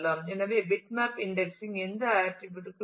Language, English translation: Tamil, So, bitmap indexing is not for any attribute